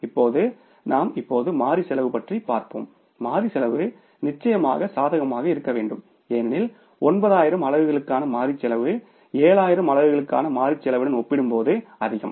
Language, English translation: Tamil, Variable cost is certainly has to be favorable because variable cost for the 9,000 units is more as compared to the variable cost for the 7,000 units